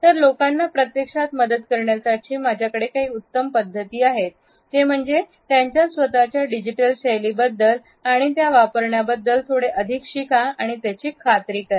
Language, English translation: Marathi, So, I have a few best practices to help people actually make sure that they are learning a little more about their own digital styles but also using digital body language intelligently